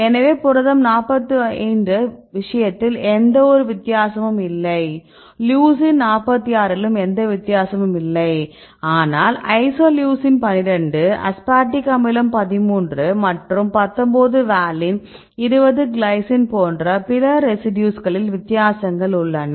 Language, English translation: Tamil, So, in the case of protein 45 right any find any difference no difference Leucine 46 no difference, but the other hand if you see other residues like isoleucine 12, aspartic acid thirteen and 19 valine, 20 glycine